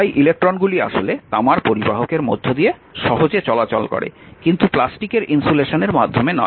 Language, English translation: Bengali, So, electrons actually readily move through the copper conductor, but not through the plastic insulation